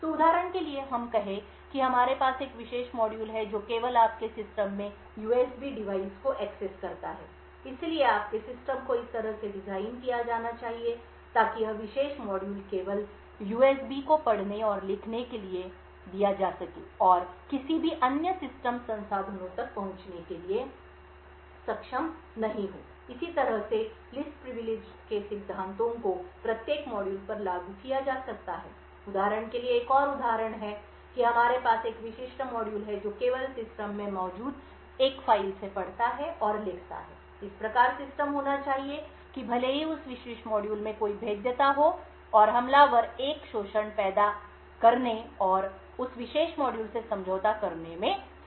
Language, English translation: Hindi, So let us say for example we have a particular module which only accesses the USP device in your system, therefore your system should be designed in such a way so that this particular module is only given read and write access to the USB and is not able to access any other system resources, in a similar way such Principles of Least Privileges can be applied to every module, another example is say for instance we have one particular module which only reads and writes from one file present in the system thus system should be defined so that even if there is a vulnerability in that particular module and the attacker is able to create an exploit and compromise that particular module